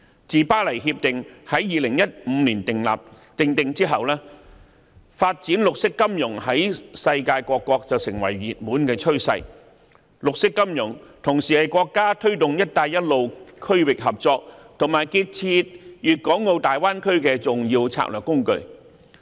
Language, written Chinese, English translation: Cantonese, 自《巴黎協定》在2015年訂定後，發展綠色金融在世界各國成為熱門趨勢，而綠色金融同時是國家推動"一帶一路"區域合作及建設粵港澳大灣區的重要策略工具。, Since the conclusion of the Paris Agreement in 2015 the development of green finance has become a popular trend in countries worldwide and green finance is also a national strategic tool vital to promoting regional cooperation along the Belt and Road and the development of the Guangdong - Hong Kong - Macao Bay Area